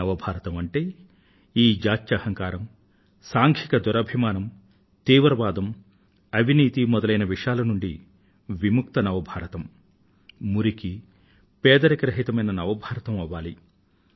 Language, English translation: Telugu, When we talk of new India then that new India will be free from the poison of casteism, communalism, terrorism and corruption; free from filth and poverty